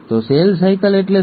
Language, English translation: Gujarati, So what is cell cycle